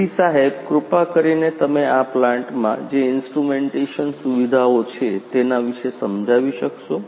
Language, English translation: Gujarati, So, sir could you please explain about the instrumentation facility that you have in this plant